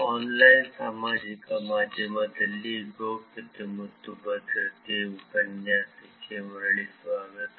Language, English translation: Kannada, Welcome back to the course Privacy and Security in Online Social Media